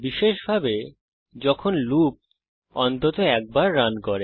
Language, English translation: Bengali, Specially, when the loop must run at least once